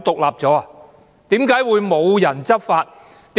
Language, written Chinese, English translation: Cantonese, 為何會無人執法呢？, Why didnt anyone enforce the law?